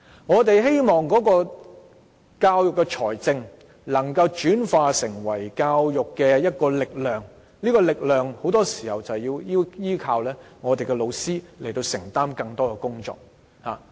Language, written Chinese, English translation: Cantonese, 我們希望教育資源能夠轉化為教育力量，而這股力量很多時候要依靠老師承擔更多工作。, We hope that education resources can be transformed into education power but teachers often have to take up more projects in order to translate this funding into education power